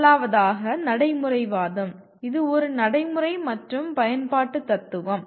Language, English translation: Tamil, First of all, pragmatism, it is a practical and utilitarian philosophy